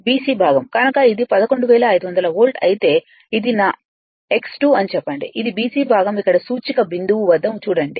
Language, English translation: Telugu, The BC portion BC portion, so if it is 11500 volt, say this is my V 2, this is the BC portion look at the cursor point here